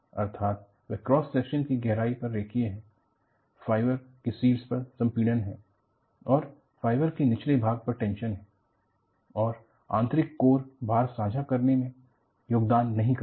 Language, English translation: Hindi, Over the depth of the cross section, it is linear, you have compression on the top fiber and tension in the bottom fiber and the inner core, does not contribute to load sharing